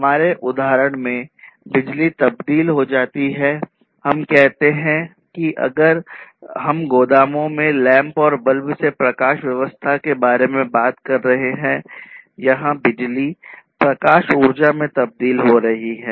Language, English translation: Hindi, So, in our example, basically electricity is transformed let us say that if we are talking about you know lighting lamps and bulbs in the warehouses, then electricity is getting transformed into light energy, right